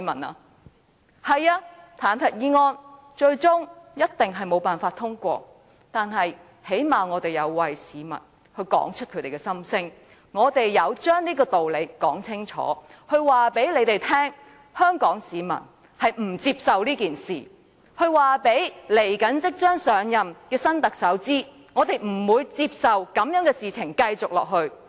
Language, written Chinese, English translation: Cantonese, 不錯，彈劾議案最終一定無法通過，但最低限度我們曾為市民道出他們的心聲，我們有把這個道理說清楚，告訴梁振英一伙香港市民不接受這件事，告訴即將上任的新特首，我們不會容許這種事情繼續下去。, It is true that the impeachment motion will never be passed but at least we have expressed the heartfelt wishes of people and given a clear account of this principle . We have told LEUNG Chun - ying and the like that Hong Kong people do not accept what he has done . We have told the Chief Executive - elect that we will not tolerate such incidents to happen again